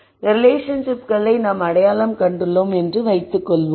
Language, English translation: Tamil, So, let us assume that we have identified these relationships